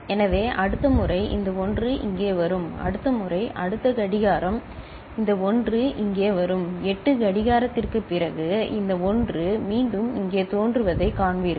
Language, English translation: Tamil, Next time next clock, this 1 will come here and after 8 clock you will see that this 1 is again appearing over here